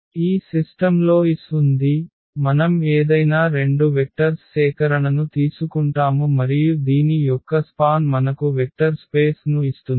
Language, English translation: Telugu, This span has S so, we take any two any vectors collection of vectors and then the span of this will give you the vector space